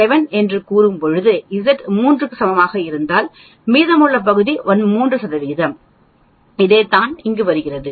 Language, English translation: Tamil, 7 the remaining portion is 3 percent that is what you are getting here